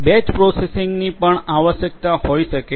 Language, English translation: Gujarati, Batch processing might also be a requirement